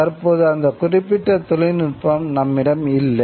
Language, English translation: Tamil, We still do not have that particular technology